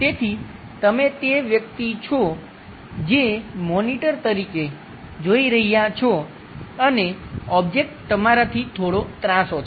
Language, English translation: Gujarati, So, you are the person, who is looking at the monitor and the object is slightly inclined with you